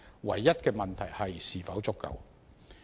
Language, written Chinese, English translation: Cantonese, 唯一的問題是，這是否足夠？, The only question is whether this is enough